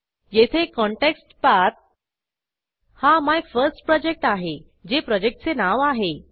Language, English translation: Marathi, Note that Context Path here is MyFirstProject, this is the same name as our Project